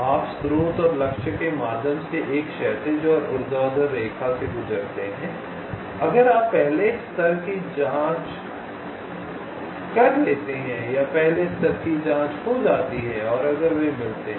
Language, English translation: Hindi, you pass a horizontal and vertical line through source and target if first level probes, if they meet path is found